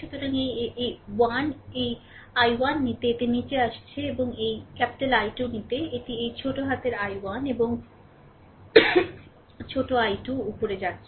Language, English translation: Bengali, So, this this I 1 this I 1 if you take, it is coming down and this i 2 if you take, it is going up this small i 1 and small i 2